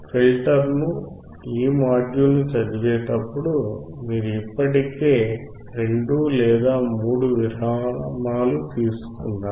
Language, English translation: Telugu, While reading this module probably you have taken already 2 or 3 breaks